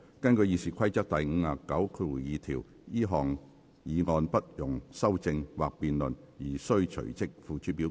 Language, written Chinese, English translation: Cantonese, 根據《議事規則》第592條，這項議案不容修正或辯論而須隨即付諸表決。, In accordance with Rule 592 of the Rules of Procedure the motion shall be voted on forthwith without amendment or debate